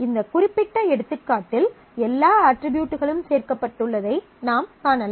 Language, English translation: Tamil, In this particular example, you can see that all attributes have got included